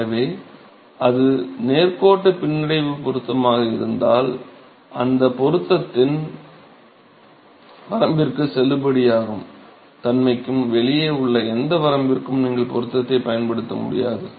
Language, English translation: Tamil, So, if it is a, if it is a linear regression fit, you cannot apply the fit to any range, which is outside the validity of that fit